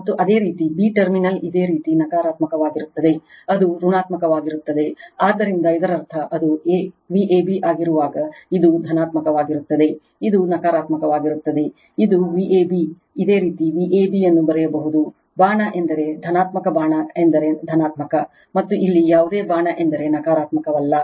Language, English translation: Kannada, And your b terminal is your negative right, it is negative, so that means when it is V a b this is positive, this is negative, it is V a b you can write V a b, arrow means positive arrow means positive, and here no arrow means negative